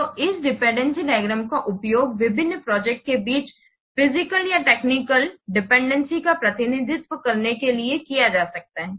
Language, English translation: Hindi, So this dependency diagram can be used to represent the physical and the technical dependencies between the different projects